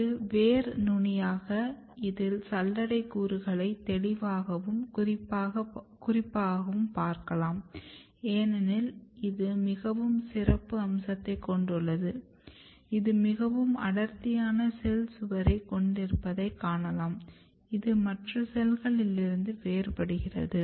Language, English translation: Tamil, So, this is longitudinal view of your root tip, you can clearly and very specifically see the sieve elements of because of it is a very special feature you can see that it has a very thick cell wall which distinguish from other cells